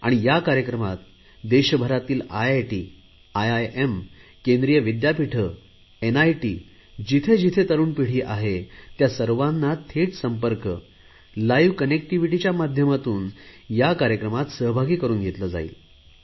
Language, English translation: Marathi, In this program all the IIT's, IIM's, Central Universities, NIT's, wherever there is young generation, they will be brought together via live connectivity